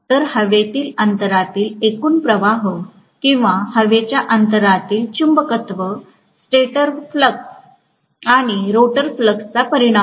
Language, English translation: Marathi, So the overall flux in the air gap or magnetism in the air gap is resultant of the stator flux and rotor flux